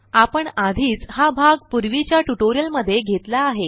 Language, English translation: Marathi, We have already covered this part in the earlier tutorial